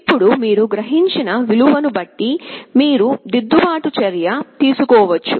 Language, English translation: Telugu, Now depending on the value you have sensed, you can take a corrective action